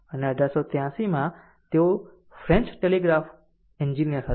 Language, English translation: Gujarati, And in 1883, he was a French telegraph engineer